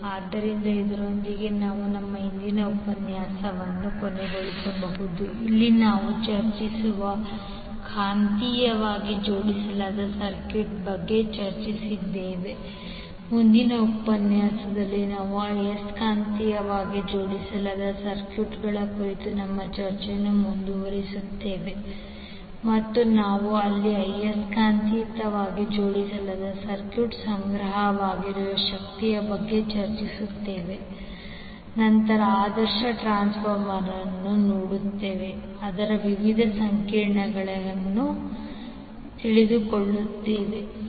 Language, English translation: Kannada, So with this we can close our today’s session where we discussed about the magnetically coupled circuit we will discuss, we will continue our discussion on the magnetically coupled circuits in the next session also where we will discuss about the energy stored in the magnetically coupled circuit and then we will also see the ideal transformer and its various equations thank you